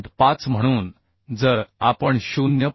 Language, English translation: Marathi, 5 so if we multiply with 0